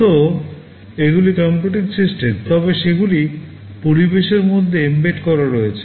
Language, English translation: Bengali, We mean these are computing systems, but they are embedded inside the environment